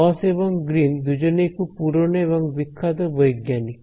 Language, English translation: Bengali, Both gauss and Green are names of famous very old scientists ok